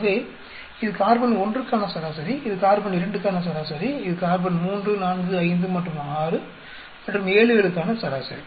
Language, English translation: Tamil, So, this is the average for carbon 1, this is the average for carbon 2, this is the average for carbon 3, 4, 5 and 6 and 7